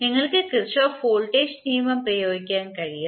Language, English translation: Malayalam, You can apply Kirchhoff voltage law